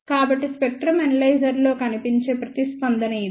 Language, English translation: Telugu, So, this is the response which appears on the spectrum analyzer